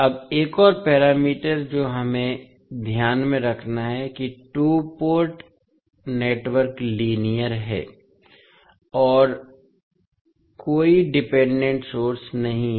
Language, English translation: Hindi, Now, another criteria which we have to keep in mind is that the two port network is linear and has no dependent source